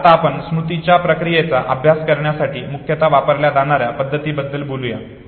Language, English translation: Marathi, So let us now talk about the methods that are predominantly used for studying the process of memory